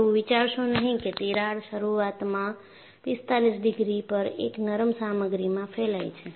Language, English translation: Gujarati, So, do not think that crack initially propagates at 45 degrees on a ductile material